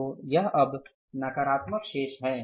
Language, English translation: Hindi, So this is now the negative balance